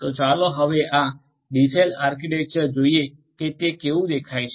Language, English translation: Gujarati, So, let us now look at this DCell architecture how it looks like